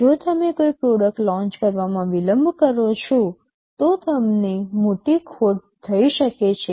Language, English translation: Gujarati, If you delay in the launch of a product, you may incur a big loss